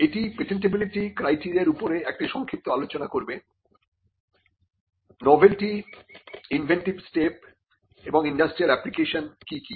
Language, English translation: Bengali, And it would also contain a brief discussion on the patentability criteria what is novelty, what is inventive step and what is industrial application